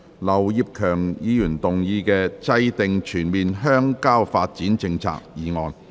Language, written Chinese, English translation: Cantonese, 劉業強議員動議的"制訂全面鄉郊發展政策"議案。, Mr Kenneth LAU will move a motion on Formulating a comprehensive rural development policy